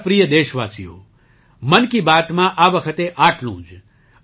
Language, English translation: Gujarati, My dear countrymen, that's allthis time in 'Mann Ki Baat'